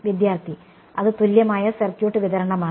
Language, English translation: Malayalam, That is equivalent circuit distribution